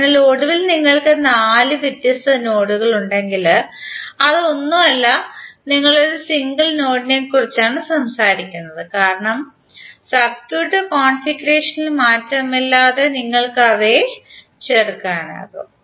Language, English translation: Malayalam, So eventually if you have four different nodes it is nothing but you are talking about one single node, because you can join then without any change in the circuit configuration